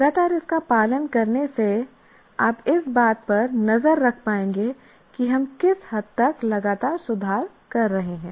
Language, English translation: Hindi, By following it consistently, we will be able to keep track of to what extent we are continuously improving